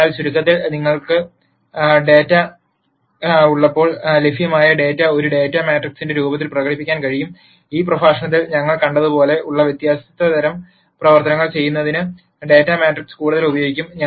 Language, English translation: Malayalam, So, to summarize, when you have data, the available data can be expressed in the form of a data matrix and as we saw in this lecture this data matrix can be further used to do di erent types of operations